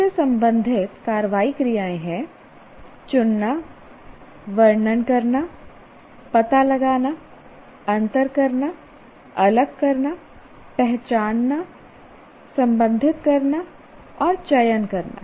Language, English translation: Hindi, Now action works related to that are choose, describe, detect, differentiate, distinguish, identify, isolate, relate, select